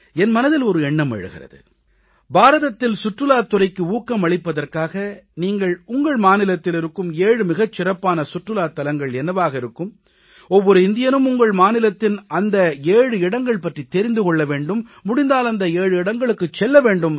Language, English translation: Tamil, A thought comes to my mind, that in order to promote tourism in India what could be the seven best tourist destinations in your state every Indian must know about these seven tourist spots of his state